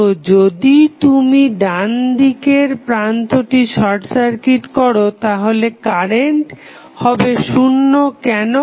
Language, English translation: Bengali, So, when you short circuit the right most terminal that is if you short circuits then current would be 0, why